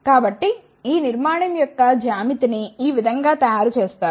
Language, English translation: Telugu, So, this is how the geometry of this structure is made